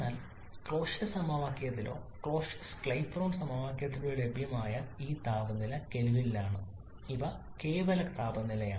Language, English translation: Malayalam, But these temperatures available in the Clausius equation or Clausius Clapeyron equation are in kelvin these are absolute temperature